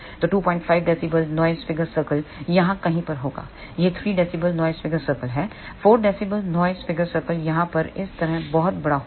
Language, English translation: Hindi, 5 dB noise figure circle will be somewhere here this is 3 dB noise figure circle 4 dB noise figure circle will be much larger like this over here